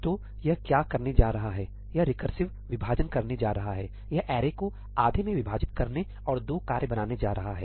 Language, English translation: Hindi, So, what it is going to do is it is going to do recursive splitting, it is going to divide the array into half and create 2 tasks